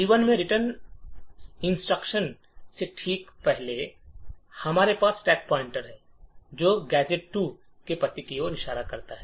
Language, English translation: Hindi, Now when the function that we are executing is about to return we have the stack pointer which is pointing to the address of gadget 1